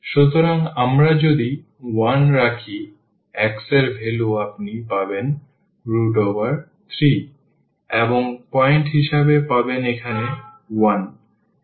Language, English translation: Bengali, So, y if we put 1, x you will get as a square root 3 and 1 that is the point here